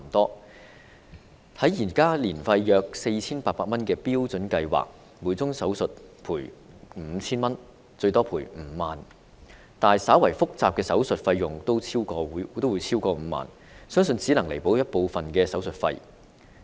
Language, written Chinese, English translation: Cantonese, 根據現時年費約 4,800 元的標準計劃，每宗手術可獲賠償 5,000 元至最多5萬元，但稍為複雜的手術費用均超過5萬元，這個賠償額相信只能彌補部分手術費。, Under the Standard Plan which charges an annual premium of around 4,800 the benefit limit per surgery is within the range of 5,000 to 50,000 . As for more complicated surgery this benefit limit can only cover part of the surgery fee since this type of surgery always costs more than 50,000